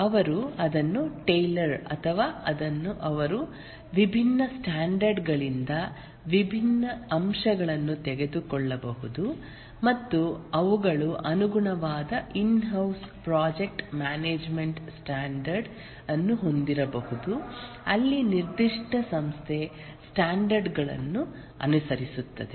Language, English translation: Kannada, They might tailor or maybe take different aspects from different standards and they might have a tailored in house project management standard where that specific organization follows the standard